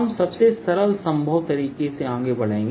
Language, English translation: Hindi, we'll go the simplest possible way